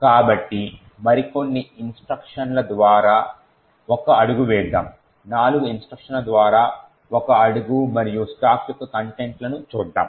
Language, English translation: Telugu, So, let us single step through a few more instructions let us say the single step through four instructions and look at the contents of the stack